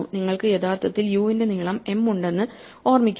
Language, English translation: Malayalam, So, remember that u is actually has length m